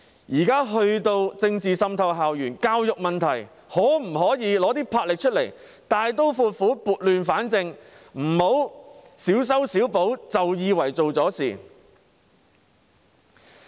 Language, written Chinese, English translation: Cantonese, 現時政治滲透校園，就教育問題，政府可否拿出魄力，大刀闊斧，撥亂反正，不要小修小補便以為做了事？, As political forces are now infiltrating school campuses can the Government demonstrate its determination and courage to right the wrongs associated with education and rectify the belief that it has done its job by introducing piecemeal remedies?